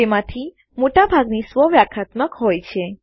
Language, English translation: Gujarati, Most of them are self explanatory